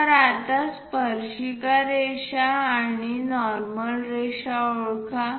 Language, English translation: Marathi, So, now, let us identify the tangent line and the normal line